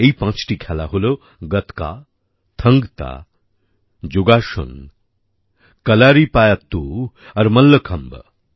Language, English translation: Bengali, These five sports are Gatka, Thang Ta, Yogasan, Kalaripayattu and Mallakhamb